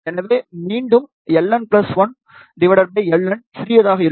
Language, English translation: Tamil, So, again L n plus 1 divided by L n will be small